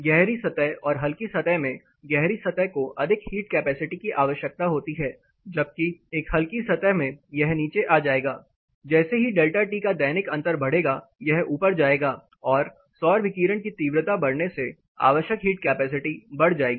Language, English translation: Hindi, Say dark surface versus light surface, dark surfaces requires became more thermal capacity whereas a light surface this will come down as a diurnal difference in delta T increases this will go up and as the intensity of solar radiation increases the required heat capacity will go up